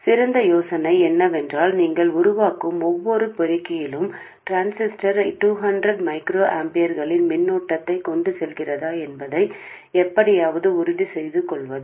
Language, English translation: Tamil, What is a better idea is to somehow make sure that in every amplifier that you make the transistor carries a current of 200 microampers